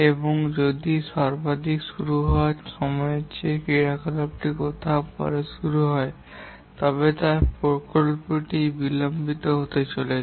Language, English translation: Bengali, And if the activity is started anywhere later than the latest start time, then the project is going to be delayed